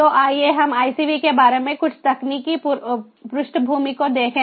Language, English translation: Hindi, so let us look at some technological background about icv